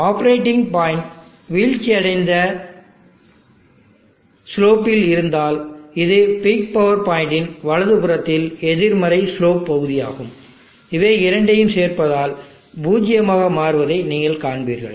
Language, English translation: Tamil, If suppose the operating point had been on the falling slope that is a negative slope region to the right of the peak power point, you will see that these two on adding will becomes zero